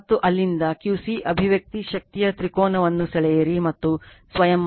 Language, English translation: Kannada, And from there you find out the expression of Q c right you draw a power triangle and you do yourself